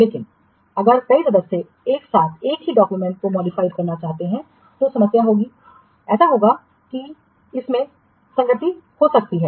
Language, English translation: Hindi, But if several members simultaneously they want to modify a single document, then problem will be there